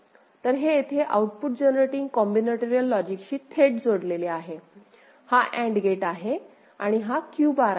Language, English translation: Marathi, So, this is connected directly to the output generating combinatorial logic over here this AND gate and this is Q bar, right